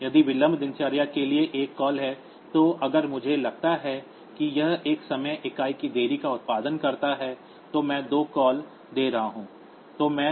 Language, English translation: Hindi, If there is a one call to the delay routine, so if I assume that it produces a delay of one time unit then I am giving two calls